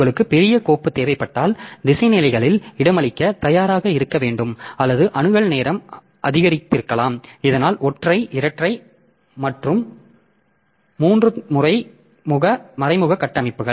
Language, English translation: Tamil, If you need larger files so we should be ready to accommodate for this indirection levels or access time may be increased so that by means of this single direct single double and triple indirect structures